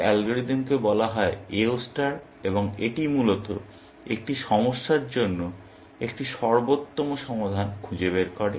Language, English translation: Bengali, This algorithm is called AO star and it essentially, finds an optimal solution for a problem like